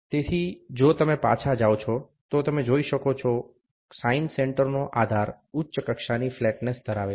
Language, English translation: Gujarati, So, if you go back, you can see the base of the sine centre has a high degree of flatness